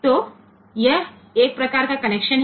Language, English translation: Hindi, So, that is one type of connection